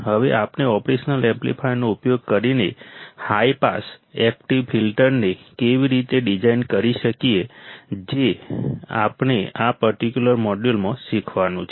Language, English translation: Gujarati, Now how can we design a high pass active filter using an operational amplifier that is the thing, that we have to learn in this particular module